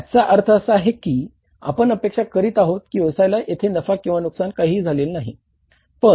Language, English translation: Marathi, So, it means we were expecting business to be at the no profit, no loss